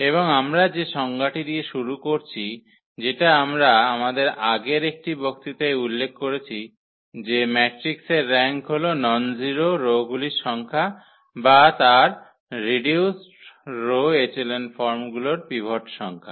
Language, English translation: Bengali, And the definition we start with which we have mentioned in one of our previous lecture that is the rank of a matrix is the number of nonzero rows or the number of pivots in its reduced row echelon forms